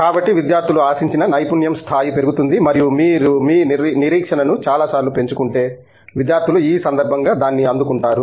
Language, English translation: Telugu, So, the level of expertise, expected of the student is increased and if you increase your expectation many times the students rise to the occasion and meet it